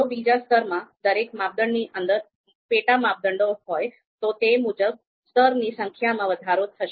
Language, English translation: Gujarati, If there are sub criteria sub criteria within each criteria in the second level, then of course number of levels will increase accordingly